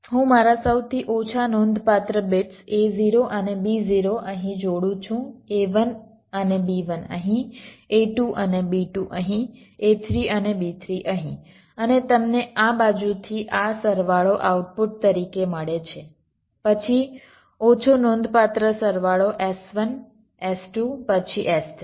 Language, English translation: Gujarati, so what i do, i connect my least significant bits, a zero and b zero, here, a one and b one, here, a two and b two, here, a three and b three here, and you get as the output this, some from this side, less significant, some